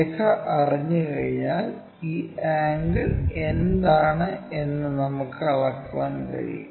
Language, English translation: Malayalam, Once line is known we can measure what is this angle